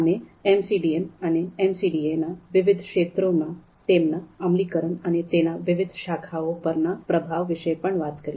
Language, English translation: Gujarati, We also talked about MCDM and MCDA and their application in various fields and the influence of various disciplines on the field of MCDM